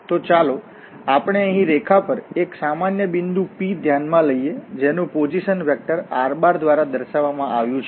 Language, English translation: Gujarati, So let us consider a general point P here on the line whose position vector is given by this vector r